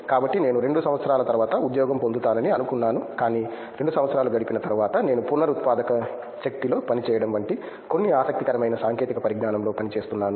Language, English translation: Telugu, So, I thought I would get a job after 2 years, but after spending 2 years I thought I am working in a cutting edge some interesting technology like I work in Renewable energy